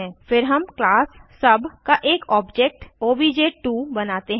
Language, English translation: Hindi, Then we create another object of class sub as obj2